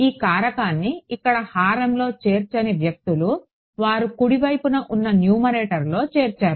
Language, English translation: Telugu, People who do not include this factor here in the denominator they included in the numerator of the on the right hand side